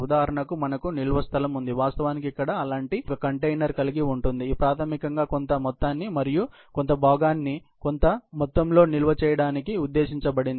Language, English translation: Telugu, For example, we have storage space, which actually, reflects one such container here, which is basically, meant for storing a certain amount, certain part by a certain amount